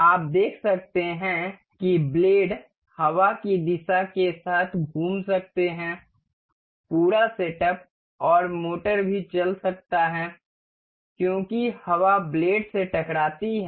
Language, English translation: Hindi, You can see the blades can rotate along the wind direction, the whole the setup and also the motor motor may run as the wind will strike the blades